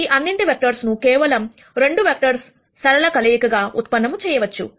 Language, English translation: Telugu, However, these vectors have been picked in such a way, that they are only linear combination of these 2 vectors